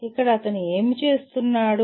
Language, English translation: Telugu, So here what is he doing